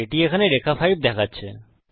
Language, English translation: Bengali, It says here line 5